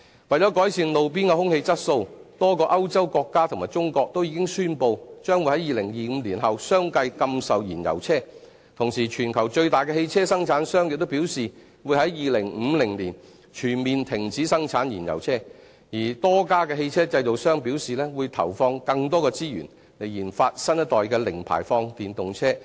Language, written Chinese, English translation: Cantonese, 為了改善路邊的空氣質素，多個歐洲國家和中國均已宣布將會於2025年後相繼禁售燃油車，同時全球最大的汽車生產商亦表示會在2050年全面停止生產燃油車，而多家汽車製造商表示會投放更多的資源研發新一代的零排放電動車。, In order to improve roadside air quality a number of European countries and China have already announced that they will one after another ban the sale of fossil fuel vehicles after 2025 . At the same time the largest automobile manufacturer in the world also says that the production of fossil fuel vehicles will be completely stopped in 2050 while a number of automobile manufacturers also say that they will invest more resources in the research and development of the new generation of zero - emission electric vehicles